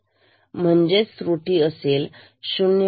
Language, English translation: Marathi, The error will be 0